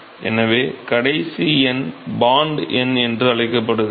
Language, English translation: Tamil, So, the last one is called the Bond number